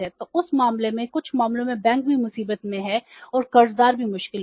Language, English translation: Hindi, So, in that case, in some cases banks are also in trouble and borrowers are also in trouble